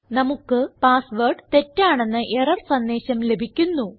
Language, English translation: Malayalam, We get an error message which says that the password is incorrect